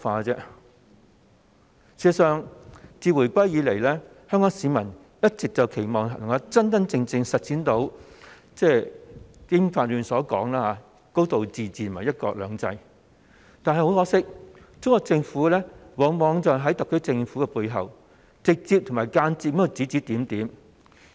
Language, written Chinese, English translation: Cantonese, 事實上，自回歸後，香港市民一直期望可以真正實踐《基本法》中提到的"高度自治"和"一國兩制"，但很可惜，中國政府往往在特區政府背後，直接及間接地指指點點。, In fact since the reunification the Hong Kong public has always hoped that there can be genuine implementation of a high degree of autonomy and one country two systems mentioned in the Basic Law . But sadly the Chinese Government often gives orders and instructions to the SAR Government directly and indirectly